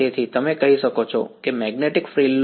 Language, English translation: Gujarati, So, you can say that the take the magnetic frill